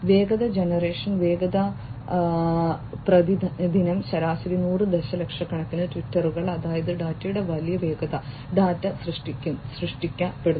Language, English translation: Malayalam, Velocity, speed of generation, 100s of millions of tweets per day on average that is you know, huge velocity of data coming in, data getting generated